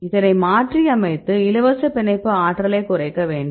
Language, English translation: Tamil, So, you replaces this one that should reduce binding free energy